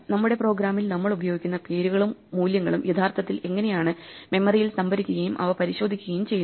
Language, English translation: Malayalam, How the names and values we use in our program are actually allocated and stored in memory so that we can look them up